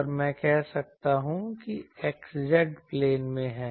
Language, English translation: Hindi, And I can say that is in the x z plane ok